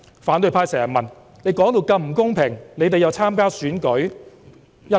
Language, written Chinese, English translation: Cantonese, 反對派經常問，我們說到如此不公平，為何又要參加選舉？, The opposition always ask why we participate in this Election if it is so unfair as we claim